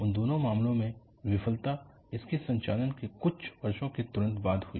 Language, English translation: Hindi, In both of those cases, the failure occurred immediately after the few years of its operation